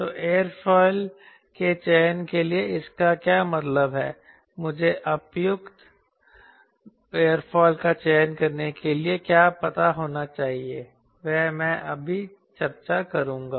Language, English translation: Hindi, so what this is going to mean for selection of aerofoil, what i should know to select appropriate aerofoil, that i will be discussing in short